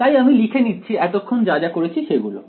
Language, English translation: Bengali, So, if I write down so far what I have done